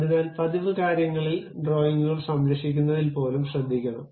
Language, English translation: Malayalam, So, one has to be careful even at saving the drawings at regular things